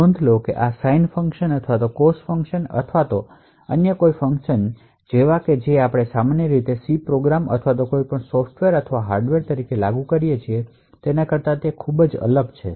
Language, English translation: Gujarati, So, note that this is very different from any other function like the sine function or cos function or any other functions that we typically implement as a C program or any software or hardware